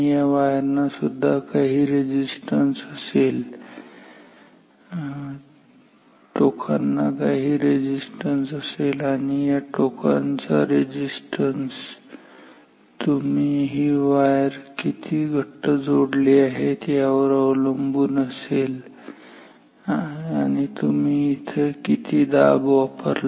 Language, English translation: Marathi, The wires have some resistance, terminals have some resistance and these resistance of this terminal will also depend on how say tightly you connect this wire how much pressure you applied